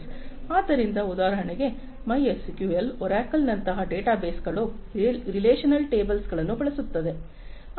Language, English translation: Kannada, So, for example, databases like MySQL, Oracle, etcetera they use relational tables